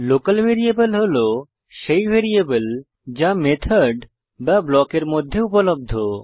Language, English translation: Bengali, Local variables are variables that are accessible within the method or block